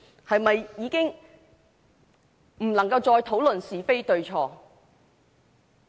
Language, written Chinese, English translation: Cantonese, 是否已經不能夠再討論是非對錯？, Is it that we can no longer discuss what is right and wrong?